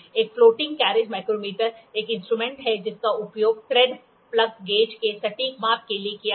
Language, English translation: Hindi, A floating carriage micrometer is an instrument that is used for accurate measurement of thread plug gauges